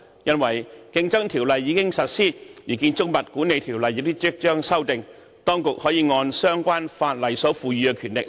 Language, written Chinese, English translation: Cantonese, 因為《競爭條例》已經實施，《建築物管理條例》也即將獲修訂，當局可按相關法例所賦予的權力......, As the Competition Ordinance is in force and the Building Management Ordinance will also be amended shortly the authorities can handle related matters with the powers conferred by the relevant laws